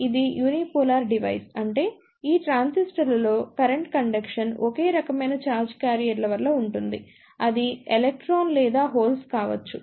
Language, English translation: Telugu, It is a unipolar device; it means that the current conduction in these transistors is due to only one type of charge carriers, it could be either electron or hole